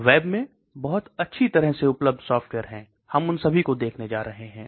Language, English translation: Hindi, There are very good freely available softwares in the web, we are going to look at all of them